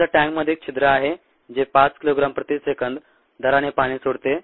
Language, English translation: Marathi, suppose there is a hole in the tanker which oozes water at the rate of five kilogram per second